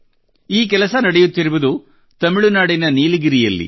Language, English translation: Kannada, This effort is being attempted in Nilgiri of Tamil Nadu